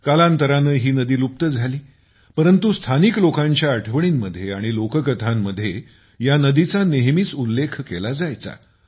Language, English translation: Marathi, As time went by, she disappeared, but was always remembered in local memories and folklore